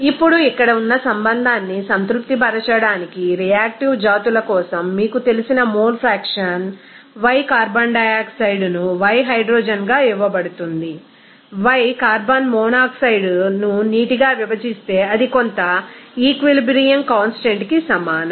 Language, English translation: Telugu, Now, the mole fraction of the you know for reactive species to satisfy the relation here is given y carbon dioxide into y hydrogen divided by y carbon monoxide into water that will be is equal to some equilibrium constant